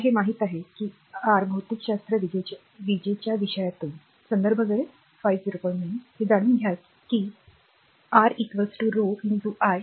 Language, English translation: Marathi, So, we know that from your physics electricity subject, we know that R is equal to rho into l by A, right